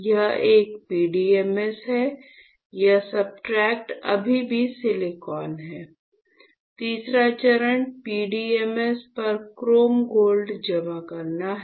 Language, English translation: Hindi, So, this one is PDMS, this one is still silicon, this substrate is still silicon; the third step is to deposit chrome gold on PDMS